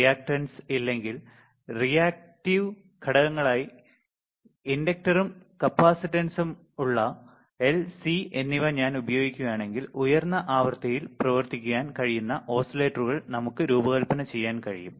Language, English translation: Malayalam, While if I use L and C that is inductor and capacitance as reactance is or reactive components, then we can design oscillators which can work at higher frequencies right